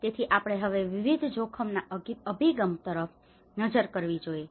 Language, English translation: Gujarati, So now we have to look at the multi hazard approach as well